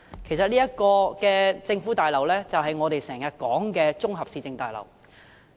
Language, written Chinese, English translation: Cantonese, 其實這座政府大樓便是我們經常提及的綜合市政大樓。, This government building is in fact a municipal services complex which we often talk about